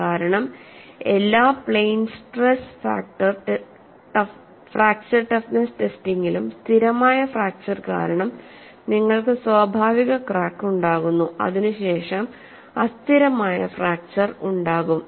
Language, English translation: Malayalam, Because in all plane stress fracture toughness testing, you have a natural crack formation because of stable fracture, then it is followed by unstable fracture